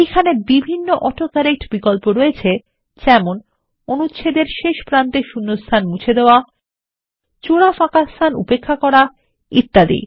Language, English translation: Bengali, There are several AutoCorrect options like Delete spaces at the end and beginning of paragraph, Ignore double spaces and many more